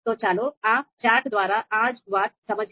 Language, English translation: Gujarati, So let us understand it through this chart